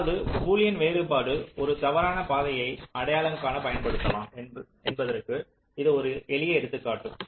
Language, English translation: Tamil, ok, this is a simple example how boolean difference can be used to identify a false path